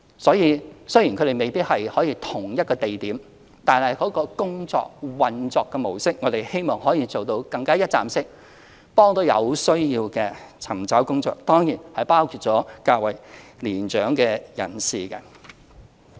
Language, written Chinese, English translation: Cantonese, 所以，雖然他們未必可以於同一地點，但我們希望其運作模式可以做到更加一站式，幫助有需要的尋找工作人士，當然包括較為年長的人士。, Hence though they may not provide services at the same location we hope that the mode of operation will further realize the goal of providing one - stop services helping job seekers who certainly include mature people to find employment